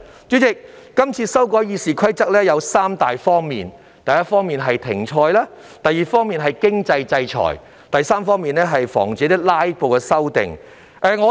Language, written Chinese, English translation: Cantonese, 主席，《議事規則》的擬議修訂分3方面：第一，是停賽；第二，是經濟制裁；第三，是防止"拉布"出現。, President the proposed amendments to RoP are divided into three aspects first suspension of service; second imposition of financial sanctions; and third prevention of filibuster